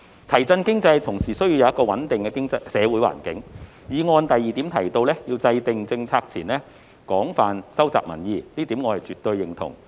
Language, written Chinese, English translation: Cantonese, 提振經濟同時需要一個穩定的社會環境，議案第二部分提到，在制訂政策前，要"廣泛收集民意"，這一點我絕對認同。, It requires a stable social environment to boost the economy . Item 2 of the motion highlights the importance of extensively collecting public views before formulating policies . I absolutely agree to this